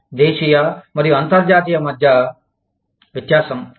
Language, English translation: Telugu, That is the difference between, domestic and international